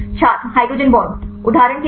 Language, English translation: Hindi, hydrogen bond For example